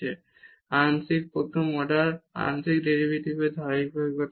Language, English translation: Bengali, So, this function is continuous and the partial order first order derivatives exist